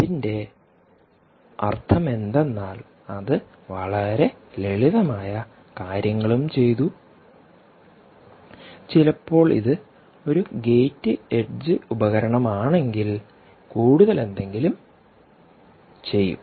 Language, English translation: Malayalam, remember what it means is it has done some very simple things and sometimes, if it is a gate edge device, has done something more